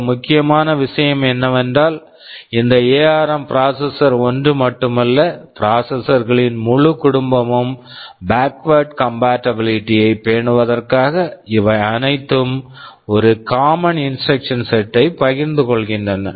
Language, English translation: Tamil, AsNow as I told you this ARM processor is not just one, but a whole family of ARM processors exist and the most important thing is that in order to maintain backward compatibility, which is very important in this kind of evolution all of thisthese share essentially a common instruction set